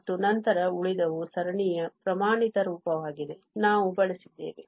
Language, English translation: Kannada, And, then the remaining this is standard form of the series we have you used